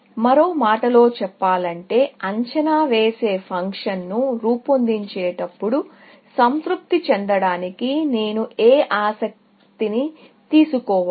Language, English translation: Telugu, In other words, while devising an estimating function, what property should I take care to satisfy